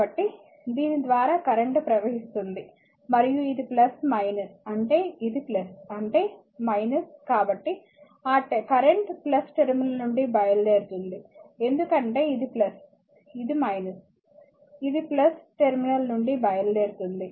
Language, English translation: Telugu, So, current is flowing through this and this is plus minus means this is plus, this is minus right therefore, that current is leaving the plus terminal because this is plus, this is minus it leaving the plus terminal